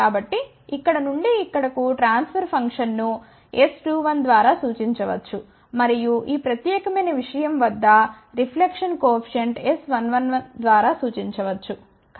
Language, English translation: Telugu, So, the transfer function from here to here can be represented by s 2 1, and the reflection coefficient at this particular thing can be represented by s 1 1